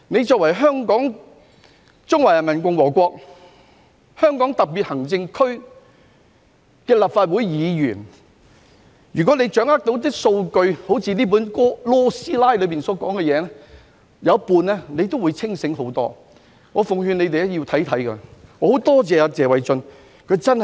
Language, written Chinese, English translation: Cantonese, 身為中華人民共和國香港特別行政區立法會議員，如果他們能夠掌握數據，例如 "LAW 師奶"在書中所提到的，甚或只需掌握一半，他們也會清醒得多。, They are Legislative Council Members of the Hong Kong Special Administrative Region of the Peoples Republic of China . If they can grasp the relevant statistics such as those mentioned by Ms LAW in her book or if they can grasp half of those statistics they will become much more conscious of the reality